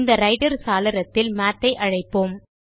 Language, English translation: Tamil, Now, in the Writer window, let us call Math